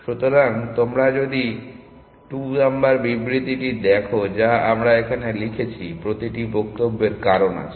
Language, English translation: Bengali, So, if you look at the statement number 2 that we have written here; there is reason for every statement